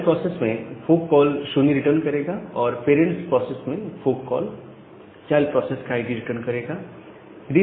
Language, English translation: Hindi, In the child process, the fork call will return a 0 and in the parent process the fork call will return the ID of the child process